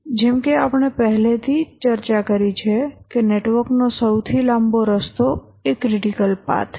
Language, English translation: Gujarati, As we have already discussed that the longest path in the task network is the critical path